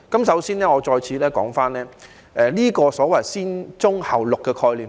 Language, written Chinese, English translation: Cantonese, 首先，我再次談談"先棕後綠"的概念。, First I will talk about the concept of brown before green again